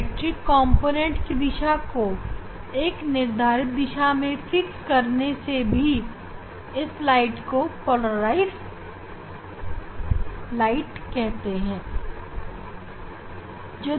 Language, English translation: Hindi, only it is an electric component will have a fixed direction then it is polarized light